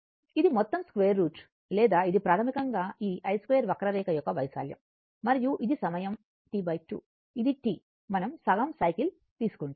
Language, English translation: Telugu, This is total square root or this one basically this one this area of this curve, I square curve, this curve only and this is your time T by 2, this is T, we will take half cycle